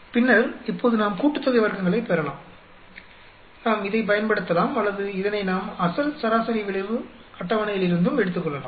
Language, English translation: Tamil, Then, now we can get the sum of squares, we can use this or we can take it from the original mean effect table also